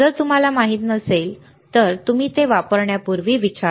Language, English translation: Marathi, If you do not know you ask before you use it all right